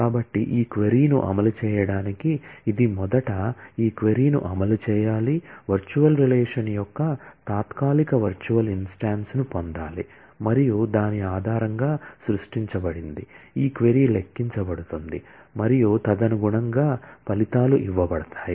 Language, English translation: Telugu, So, to execute this query, it will have to first execute this query, get the temporary virtual instance of the virtual relation, created and based on that, this query will be computed and the results will be given accordingly